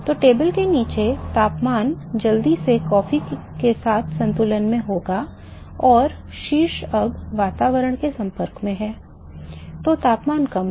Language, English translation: Hindi, So, the bottom of the table temperature would quickly equilibrate with that of the coffee and the top is now, exposed to the atmosphere is that a lower temperature